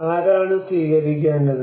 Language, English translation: Malayalam, Who should adopt